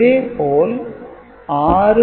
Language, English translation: Tamil, So, similarly 6